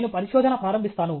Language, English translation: Telugu, Let me start research